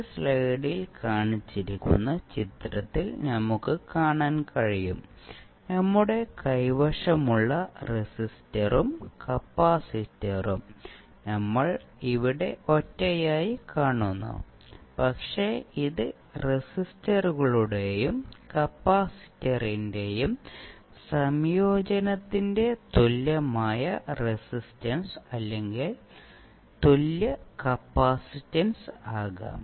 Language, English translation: Malayalam, So now, we will see that the figure which is shown in this slide the resistor and capacitor we have, we are seeing here as a single one, but it can be equivalent resistance or equivalent capacitance of the combination of resistors and capacitor